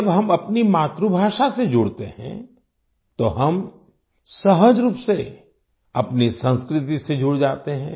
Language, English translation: Hindi, When we connect with our mother tongue, we naturally connect with our culture